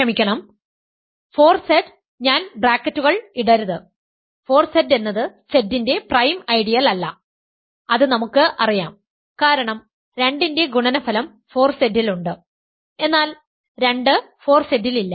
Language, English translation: Malayalam, Yet another way to see this is the following 4Z sorry, I should not put brackets 4Z is not a prime ideal of Z that also we know because product of 2 with itself is in 4Z, but 2 is not in 4Z